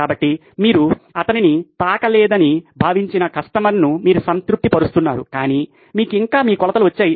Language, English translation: Telugu, So, that way you are satisfying the customer that he thinks you have not touched him but you’ve still got your measurements